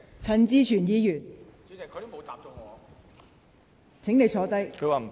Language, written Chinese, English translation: Cantonese, 陳志全議員，請發言。, Mr CHAN Chi - chuen please speak